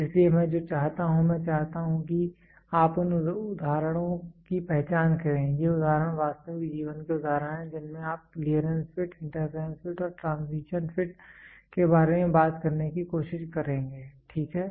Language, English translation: Hindi, So, what I want is I want you to identify examples these examples are real life examples, real life example wherein which you will try to talk about clearance, fit, the interference fit and then transition fit, ok